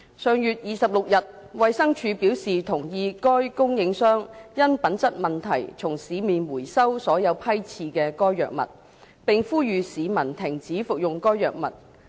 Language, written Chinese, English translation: Cantonese, 上月26日，衞生署表示同意該供應商因品質問題從市面回收所有批次的該藥物，並呼籲市民停止服用該藥物。, On the 26 of last month DH endorsed the suppliers recall of all batches of the drug from the market due to a quality issue and called on members of the public to stop taking the drug